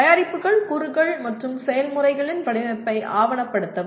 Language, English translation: Tamil, Document the design of products, components, and processes